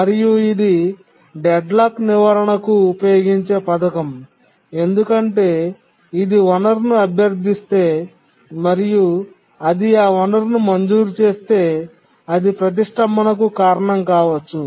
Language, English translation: Telugu, And this is the scheme that is used for deadlock prevention because if it requests a resource and it's just granted it can cause deadlock